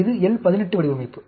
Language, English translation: Tamil, This is a L 18 design